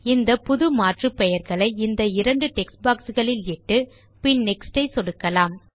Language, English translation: Tamil, So let us type in these new aliases in the two text boxes and click on the Next button